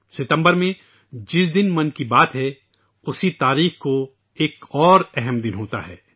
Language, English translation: Urdu, The day of Mann Ki Baat this September is important on another count, date wise